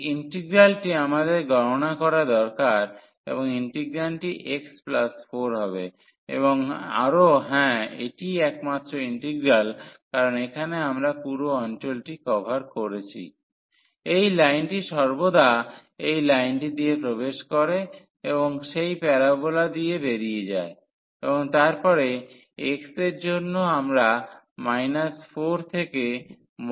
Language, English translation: Bengali, So, this integral we need to compute and the integrand will be x plus 4 and plus we have to yeah that is the only integral because we have cover the whole region here, this line is always entering through this line and exit from that parabola and then for x we have also taken from minus 1 minus 4 to 1